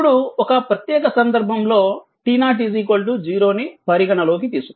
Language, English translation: Telugu, Now, therefore, consider a special case for t equal t 0 equal to 0